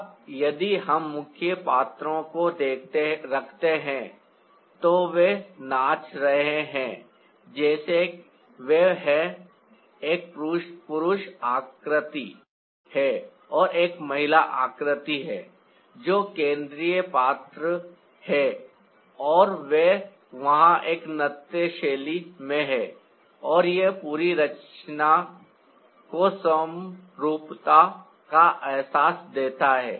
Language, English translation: Hindi, now, here, if we place the main characters where, who are dancing, ah, they are like there's a male figure and a female figure who are the central character, and they are there in a dancing jester, and that gives the whole composition a sense of symmetry